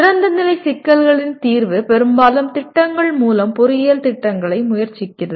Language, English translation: Tamil, And solution of open ended problems is attempted engineering programs mostly through projects